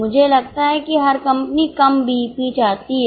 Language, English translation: Hindi, I think every company wants lower BEP